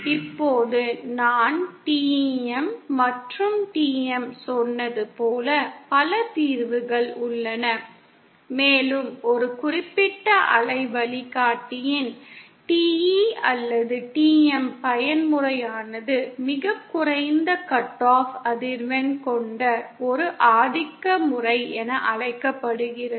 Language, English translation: Tamil, Now the mode as I said the TEM and TM, there are multiple solutions possible and that TE or TM mode for a particular waveguide which has the lowest cut off frequency is called a dominant mode